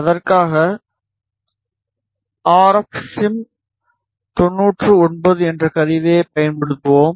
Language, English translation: Tamil, For that we will make use of a tool RFSim 99